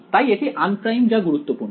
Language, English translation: Bengali, So, its un primed that is important